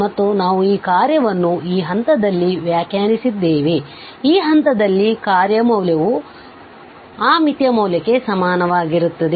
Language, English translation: Kannada, And we have defined this function in such a way that the function value at this point becomes exactly equal to that limiting value that limit